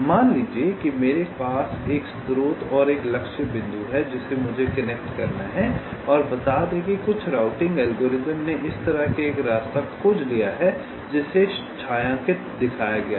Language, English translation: Hindi, laid you, as suppose i have a source and a target point which i have to connect and, let say, some routing algorithm has found out a path like this which is shown shaded